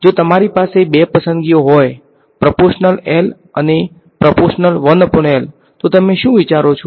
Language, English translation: Gujarati, If you have two choices proportional to L proportional to 1 by L what would you think